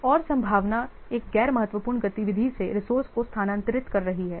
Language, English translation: Hindi, Another possibility is moving the resource from a non critical activity